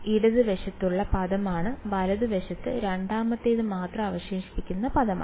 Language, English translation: Malayalam, The term that is left is what is the term that is left only second term right